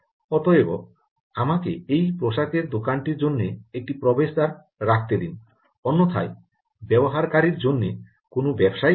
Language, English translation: Bengali, so let me put an entrance for the garment shop, otherwise there is not going to be any business for the user